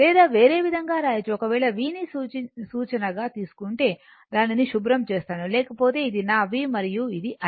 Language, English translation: Telugu, Or other way we can write if you take the v as the reference, let me clear it, otherwise your this is my v and this is my I, right